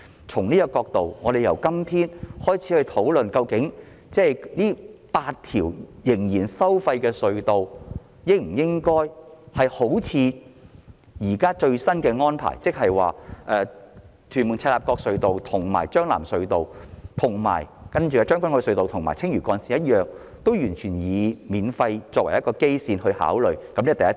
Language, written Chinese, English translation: Cantonese, 從這個角度來看，我們今天應該開始討論這8條收費隧道的最新安排，即會否考慮亦採取與屯門—赤鱲角隧道、將軍澳—藍田隧道、青嶼幹線及將軍澳隧道同樣的豁免收費安排，這是第一點。, If we look from this perspective we should start discussing the latest arrangements of these eight toll - tunnels today . In other words we should consider whether the toll - free arrangements for TM - CLKT TKO - LTT the Lantau Link and Tseung Kwan O Tunnel should also be adopted for these tunnels . This is the first point